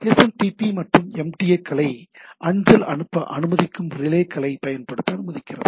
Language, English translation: Tamil, So, SMTP also allows use of relays allowing other MTAs to relay the mail right